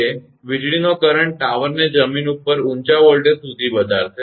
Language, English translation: Gujarati, That lightning current will raise the tower to a high voltage above the ground